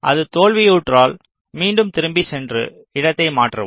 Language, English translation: Tamil, if it fails, you again go back and change the placement